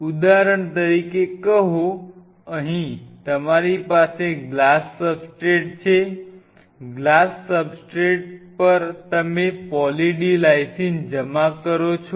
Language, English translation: Gujarati, Say for example, here you have a substrate a glass substrate, on a glass substrate you deposit Poly D Lysine; deposit Poly D Lysine